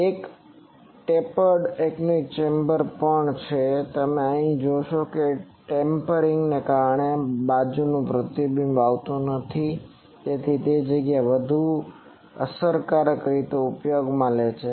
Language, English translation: Gujarati, Also there is a tapered anechoic chamber, so here you see that side reflections do not come because of this tapering, so it also makes the space more efficiently utilized